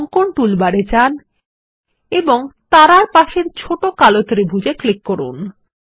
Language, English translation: Bengali, Go to the Drawing toolbar and click on the small black triangle next to Stars